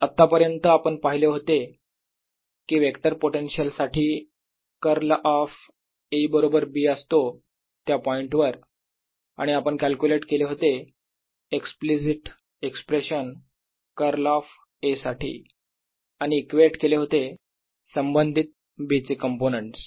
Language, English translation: Marathi, what we have done so far is that, for a vector potential, we know that curl of a is equal to b at that point and therefore what we have done so far is calculated the explicit expression for curl of a and equated the components to the corresponding components of b